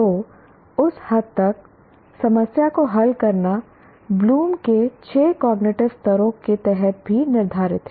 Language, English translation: Hindi, So to that extent, problem solving is also subsumed under the six cognitive levels of bloom